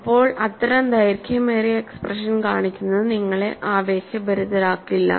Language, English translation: Malayalam, Now showing such a long expression is not going to interest you